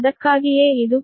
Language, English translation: Kannada, thats why it is p